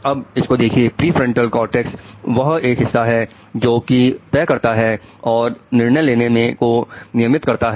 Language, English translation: Hindi, Prefrontal cortex is the one which decides, which controls decision making